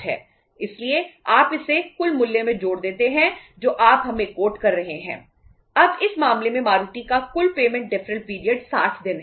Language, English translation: Hindi, So you add up it in the total price which you are quoting to us